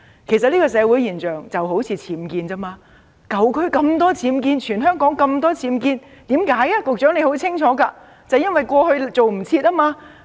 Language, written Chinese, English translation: Cantonese, 其實這種社會現象就好像僭建物一樣，舊區有那麼多僭建物，全香港有那麼多僭建物，原因是甚麼？, In fact this social phenomenon is just similar to that of unauthorized building works . Why are there so many unauthorized building works in the old areas and throughout Hong Kong?